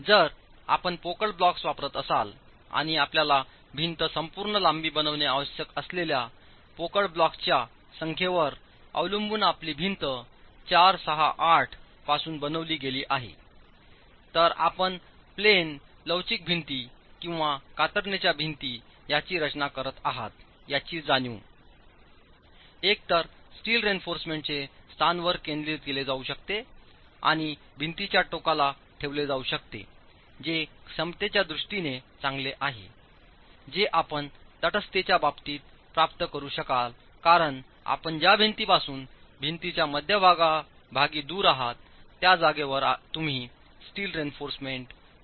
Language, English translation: Marathi, If you are using hollow blocks and your wall is made out of 4, 6, 8, depending on the number of hollow blocks that you require to make the entire length of the wall, the placement of the reinforcement, considering that you are designing these as flexural walls, in plain flexual walls or shear walls, the placement of the steel reinforcement can either be concentrated and put at the ends of the walls which is good in terms of the moment capacity that you will be able to achieve because with respect to a neutral axis you are going to be placing a steel reinforcement farthest away from the center of the wall